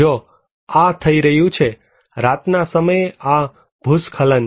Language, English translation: Gujarati, If this is happening; this landslide at night time